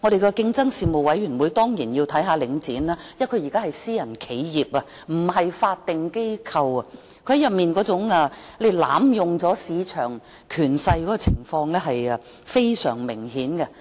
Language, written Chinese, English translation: Cantonese, 競爭事務委員會當然要監察領展，因為它現在是私人企業，而不是法定機構，它濫用市場權勢的情況非常明顯。, The Competition Commission certainly needs to monitor Link REIT because now it is a private enterprise rather than a statutory organization . Its abuse of market power is rather obvious